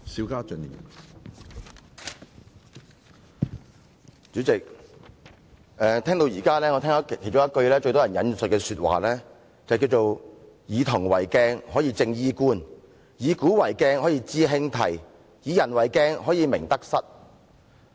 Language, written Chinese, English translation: Cantonese, 主席，我聆聽議員的發言，至今最多人引述的一句話是："夫以銅為鏡，可以正衣冠；以古為鏡，可以知興替；以人為鏡，可以明得失。, President I have listened to Members speeches and noticed that so far the most often cited quotation is Using bronze as a mirror one can straighten his hat and clothes; using history as a mirror one can know the rise and fall of dynasties; using people as a mirror one can know his own right and wrong